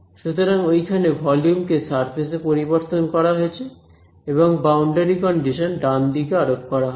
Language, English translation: Bengali, That is where so that volume has been converted to a surface and boundary condition will get applied on the right hand side over here ok